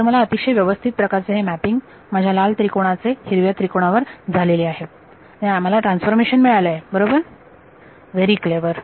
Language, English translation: Marathi, So, I have got a transformation that is very neatly mapping my red triangle to the green triangle right very clever